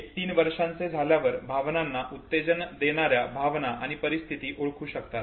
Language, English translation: Marathi, By the time they are three years old they can identify emotions and situations that provoke emotions